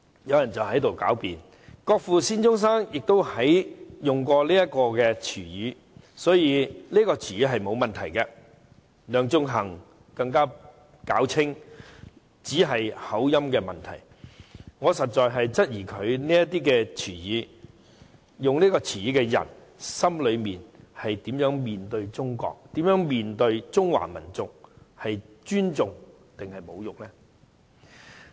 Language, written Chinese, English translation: Cantonese, "有人辯稱國父孫中山亦曾使用這個詞語，所以並沒有問題；梁頌恆更辯稱只是口音的問題，我實在質疑使用這個詞語的他心裏是怎樣面對中國和中華民族——是尊重還是侮辱呢？, Some people argue that as the word in question was once used by Dr SUN Yat - sen our Father of the Nation there is no problem at all . Sixtus LEUNG even argues that it is simply a matter of accent . I am really baffled as to how he was disposed towards China and the Chinese nation when he used this word―did he use it respectfully or insultingly?